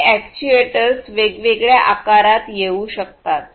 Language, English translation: Marathi, And these actuators can come in different shapes and sizes